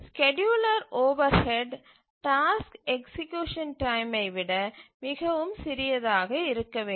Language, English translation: Tamil, So, the scheduler overhead must be much smaller than the task execution time